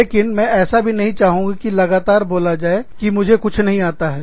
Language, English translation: Hindi, But, i also do not want to be told, constantly that, i do not know anything